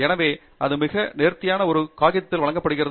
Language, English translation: Tamil, So, that’s very nicely presented in a paper